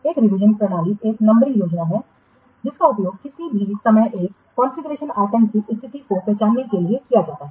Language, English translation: Hindi, A revision system is a numbering scheme that is used to identify the state of a configuration item any time